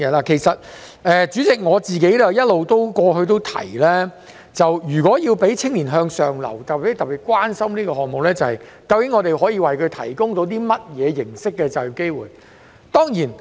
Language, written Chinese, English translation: Cantonese, 代理主席，我過去一直提及，如果要讓青年向上流，便要特別關心可以為他們提供甚麼形式的就業機會。, Deputy President as I have said all along to enable young people to move upwards we have to be particularly concerned about the types of job opportunities which can be provided for them